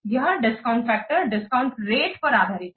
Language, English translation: Hindi, So, this discount factor is based on the discount rate